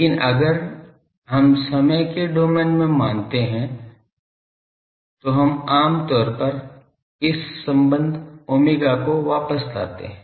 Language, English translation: Hindi, But if we come to time domain generally we bring back to this relation omega, ok